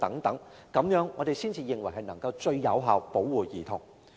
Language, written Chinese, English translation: Cantonese, 我們認為這樣才能夠最有效保護兒童。, We consider that it will afford the most effective protection to children